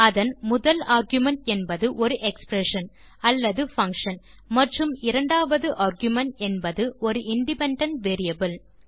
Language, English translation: Tamil, Its first argument is expression or function and second argument is the independent variable